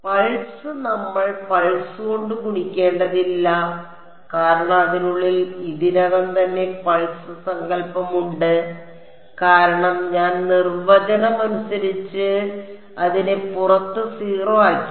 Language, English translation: Malayalam, Pulse we do not need to multiply by pulse because N 1 e already has the pulse notion inside it, because I by definition I have made it 0 outside